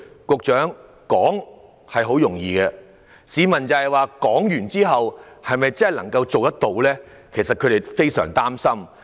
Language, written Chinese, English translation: Cantonese, 局長，說來容易，市民憂慮的是政府是否真的做得到，他們感到非常擔心。, Members of the public are worried if the Government can really create the conditions and circumstances required